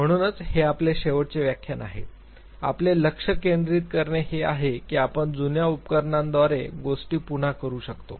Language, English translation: Marathi, Because this is our last lecture therefore, our focus would be to think that can we redo things using the old apparatus